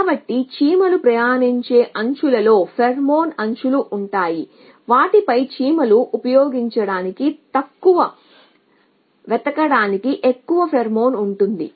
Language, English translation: Telugu, So, edges on which ants will travel will have pheromone edges on which ants will travel to fine short to us will have more pheromone